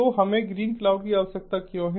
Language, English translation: Hindi, so why do we need green cloud